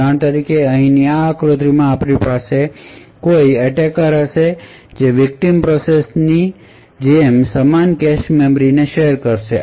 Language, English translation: Gujarati, For example, in this figure over here we would have an attacker sharing the same cache memory as a victim process